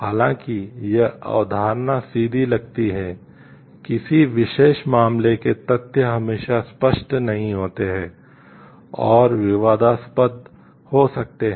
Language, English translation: Hindi, Although this concept seems straightforward, the facts of a particular case are not always clear and may be controversial